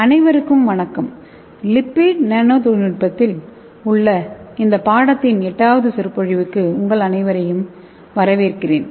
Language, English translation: Tamil, Hello everyone I welcome you all to this eighth lecture of this course that is on lipid nanotechnology